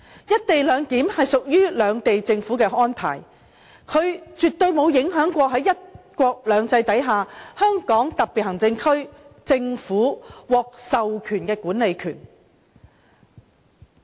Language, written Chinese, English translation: Cantonese, "一地兩檢"屬於兩地政府安排，它絕不會影響在"一國兩制"下，香港特別行政區政府獲授權的管理權。, Co - location is an arrangement that involves governments of the two sides . It absolutely will not affect the right to administer which is vested to the SAR Government under one country two systems